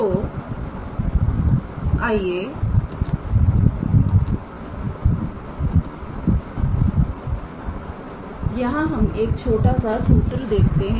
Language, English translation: Hindi, So, let me put a small theorem here